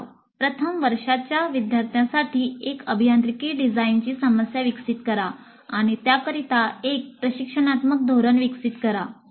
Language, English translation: Marathi, Develop one engineering design problem for first year students and develop an instructional strategy for it